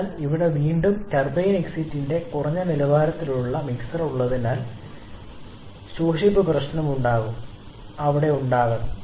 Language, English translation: Malayalam, So, again here we are having a low quality mixer of the turbine exit so erosion problem will be there